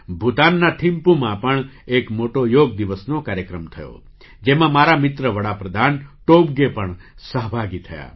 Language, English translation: Gujarati, A grand Yoga Day program was also organized in Thimpu, Bhutan, in which my friend Prime Minister Tobgay also participated